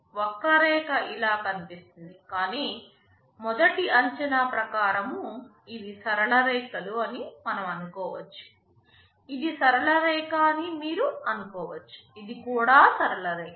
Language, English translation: Telugu, Well the curve looks like this, but to a first approximation we can assume that these are straight lines, you can assume that this is straight line, this is also a straight line